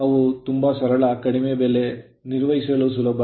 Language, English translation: Kannada, They are simple low price, easy to maintain